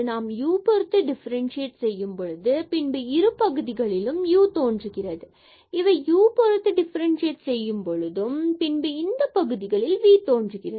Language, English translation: Tamil, So, what is important if you are differentiating here with respect to u then this u will appear both the places and if we are differentiating with respect to v here